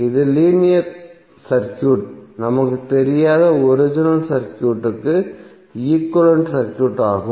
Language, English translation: Tamil, So this would be the equivalent circuit of your the original circuit where the linear circuit is not known to us